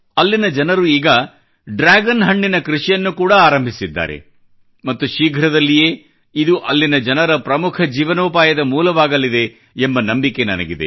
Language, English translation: Kannada, The locals have now started the cultivation of Dragon fruit and I am sure that it will soon become a major source of livelihood for the people there